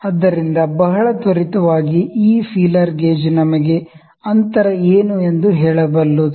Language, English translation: Kannada, So, very quick inferences, this feeler gauge can just tell us what is the gap